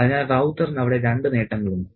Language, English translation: Malayalam, So, it has two benefits there for Rauta